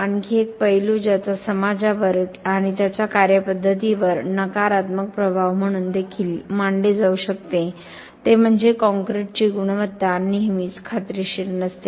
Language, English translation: Marathi, Another aspect which also could be treated as a negative impact on the society and its way of doing things is that the quality of concrete is not always assured